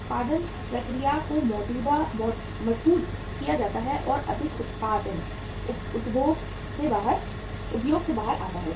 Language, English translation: Hindi, The production process is strengthened and more production comes out of the industry